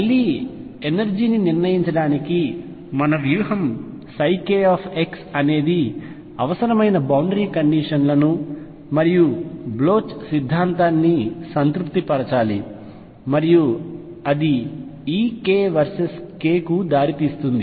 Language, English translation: Telugu, Again our strategy to determine the energy is going to be that psi k x must satisfy the required boundary conditions and Bloch’s theorem; and that will lead to e k versus k picture